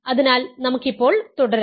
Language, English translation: Malayalam, So, let us continue now